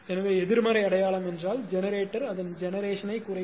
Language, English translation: Tamil, So, negative sign means that generator will decrease it is generation